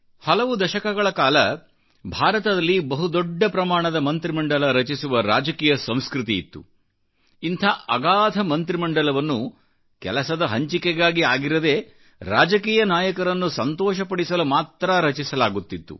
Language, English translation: Kannada, For many years in India, the political culture of forming a very large cabinet was being misused to constitute jumbo cabinets not only to create a divide but also to appease political leaders